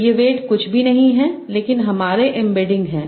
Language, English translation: Hindi, So these weights are nothing but my embeddings that I am learning